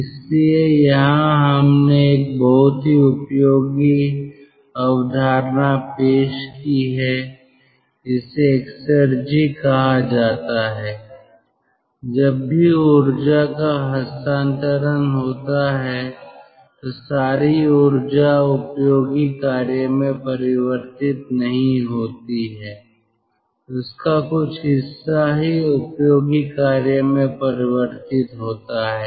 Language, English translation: Hindi, so here we have introduced a very useful concept which is called exergy, whenever there is energy transfer, not that entire amount of energy we can convert into useful work, only part of this can be converted into useful work